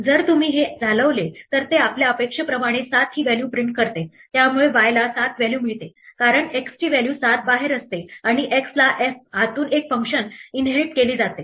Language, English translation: Marathi, If you run this, then indeed it prints the value 7 as we expect, so y gets the value 7 because the x has the value 7 outside and that x is inherited itself a function from inside f